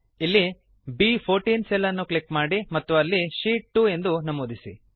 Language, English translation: Kannada, Here lets click on the cell referenced as B14 and enter Sheet 2